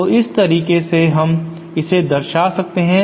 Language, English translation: Hindi, So this how we can represent it